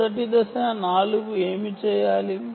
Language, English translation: Telugu, the first step is: what should four do